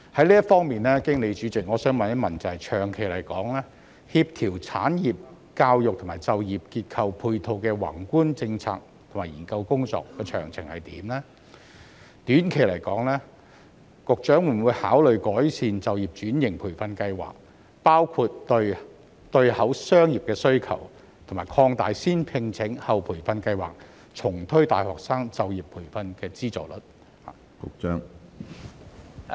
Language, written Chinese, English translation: Cantonese, 就此，主席，我想問局長，長期而言，政府在協調產業教育及就業結構配套的宏觀政策和研究工作的詳情為何；短期而言，局長會否考慮改善就業轉型培訓計劃，包括對對口商業的需求，以及擴大"先聘請，後培訓"計劃，重推大學生就業培訓的資助呢？, In this connection President may I ask the Secretary of the details of the Governments macro policies and research work on coordinating industrial education and structural support for employment in the long run? . In the short run will the Secretary consider improving the training programmes for switching occupation including matching the demand of the corresponding business sectors as well as expanding the first - hire - then - train scheme and reintroducing subsidies for graduate employment training?